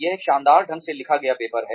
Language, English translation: Hindi, It is a brilliantly written paper